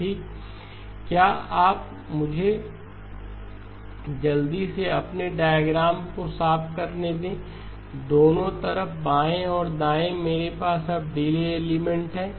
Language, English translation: Hindi, Okay, let me quickly clean up my diagram, both sides left and right I now have delay elements